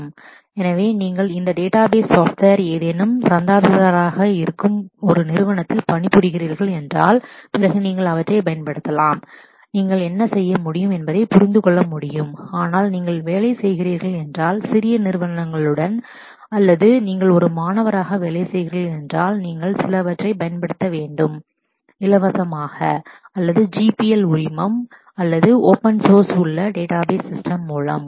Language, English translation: Tamil, So, I if you are working for a company who subscribes to any of these database software, then you should be able to use them and understand what all you can do, but if you are working with smaller companies or you are working as a student, then you will need to use some of the database systems which are free or are on the GPL licensing or open source